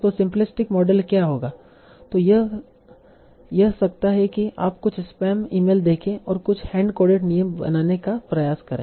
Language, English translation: Hindi, So, simplistic model could be, so try to see some sort of spam emails and make some hand coded rules